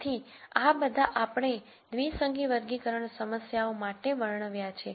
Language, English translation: Gujarati, So, all of this we described for binary classification problems